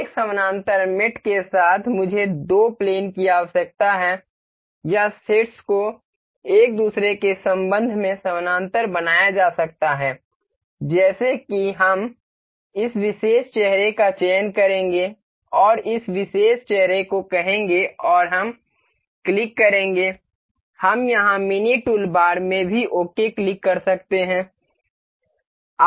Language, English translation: Hindi, With parallel mate I need two planes or vertex can be made parallel in relation to each other such as we will select this particular face and say this particular face and we will click we can click ok in the mini toolbar here as well